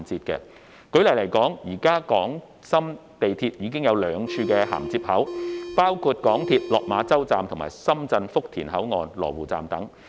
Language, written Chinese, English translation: Cantonese, 舉例而言，現時港深兩地的地鐵系統已有兩處銜接口，包括港鐵落馬洲站與深圳福田口岸，以及羅湖站。, For example there are currently two connecting points between Hong Kong and Shenzhen railway systems which are Lok Ma Chau MTR stationFutian Checkpoint station in Shenzhen and Lo Wu stationLuohu station